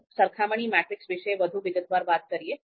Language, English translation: Gujarati, Now let’s talk a bit more about comparison matrix